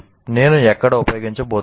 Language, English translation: Telugu, Say, where am I going to use it